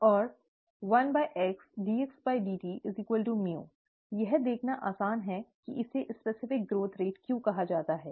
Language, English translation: Hindi, And one by x dxdt equals mu, it is easy to see why it is called the specific growth rate